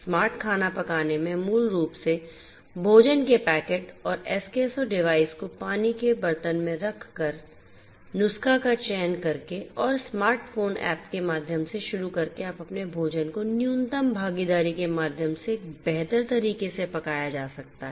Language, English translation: Hindi, Smart cooking basically helps by placing the food packet and Eskesso device in a pot of water, selecting the recipe and starting via smart phone app you can get your food cooked in a smarter way through minimal involvement